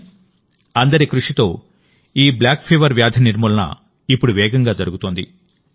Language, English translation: Telugu, But with everyone's efforts, this disease named 'Kala Azar' is now getting eradicated rapidly